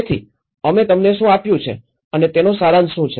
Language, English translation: Gujarati, So, what we have given to you and what is the summary of it